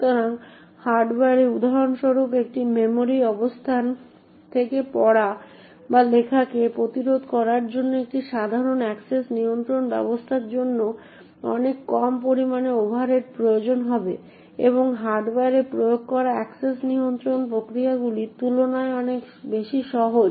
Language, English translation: Bengali, So, in hardware for example a simple access control mechanism to prevent say reading or writing from one memory location would require far less amounts of overheads and far more simple compare to the access control mechanisms that are implemented in the hardware